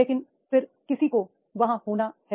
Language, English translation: Hindi, But there is somebody has to be there